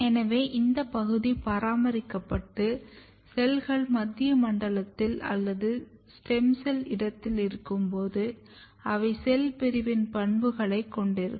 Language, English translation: Tamil, So, this domain is maintained and when the cells are present in the central zone or in the stem cell niche, they will have a property of cell division